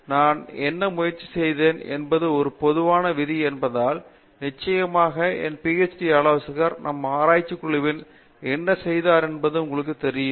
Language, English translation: Tamil, But, as a general rule what I have tried to do is of course, you know emulate what my PhD adviser did in our research group